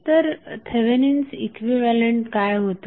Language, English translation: Marathi, So, what was that Thevenin equivalent